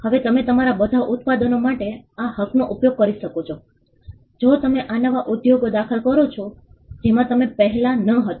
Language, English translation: Gujarati, Now you could use this right for all your products, you could use this right for if you enter new industries in which you were not there before